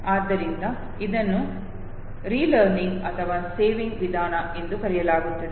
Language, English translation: Kannada, Therefore it is called the method of relearning or saving method